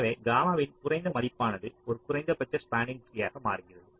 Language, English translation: Tamil, so lower value of gamma, it becomes more like a minimum spanning tree